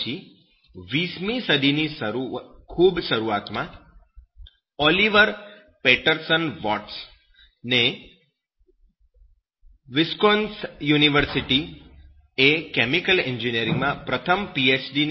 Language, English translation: Gujarati, After that, at the very beginning of 20th century Oliver Patterson Watts, the University of Wisconsin awarded the first Ph